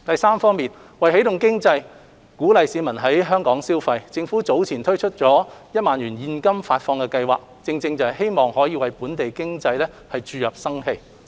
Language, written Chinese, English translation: Cantonese, 三為起動經濟，鼓勵市民在港消費，政府早前推出1萬元現金發放計劃，正是希望可為本地經濟注入生氣。, 3 To restart the economy and encourage local consumption the Government has introduced the 10,000 Cash Payout Scheme with a view to reinvigorating the local economy